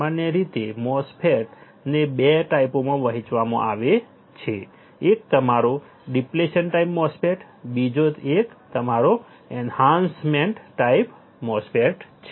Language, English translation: Gujarati, Generally the MOSFET is divided into 2 types one is your depletion type MOSFET, another one is your enhancement type MOSFET ok